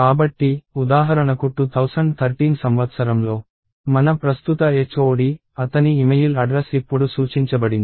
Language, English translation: Telugu, So, for instance our current HOD in year 2013, his email address is pointed to now